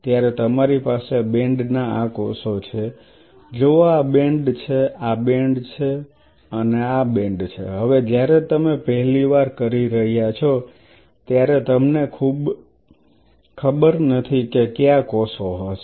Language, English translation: Gujarati, So, you have these cells of band see this is the band one this is band two this is band three now when you are doing it for the first time you have no idea which cells are which